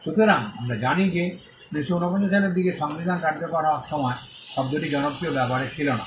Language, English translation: Bengali, So, we know that around 1949 the time when the constitution was coming into effect; the term was not in popular usage